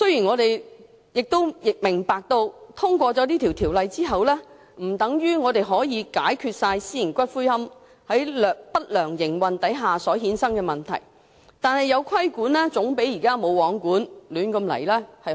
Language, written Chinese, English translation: Cantonese, 我明白通過《條例草案》，並不等於可以解決所有私營龕場不良營運所產生的問題，但有規管總比現時"無皇管"的亂局好。, I understand that passing the Bill does not mean that all of the problems arising from the malpractices of private columbaria can be resolved . However it is always better to put the chaotic situation under control rather than leaving it unregulated as it is now